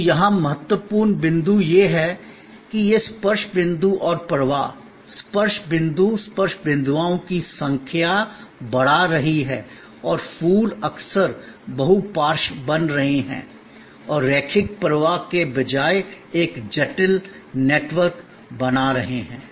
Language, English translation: Hindi, So, the key point here to notices that this touch points and the flow, the touch points, the number of touch points are increasing and the flower are often becoming multi lateral and creating a complex network rather than a linear flow